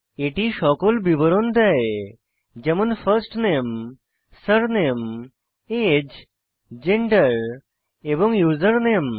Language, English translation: Bengali, It has all the details like First Name, Surname, Age, Gender and Username